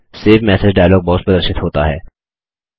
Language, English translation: Hindi, The Save Message As dialog box appears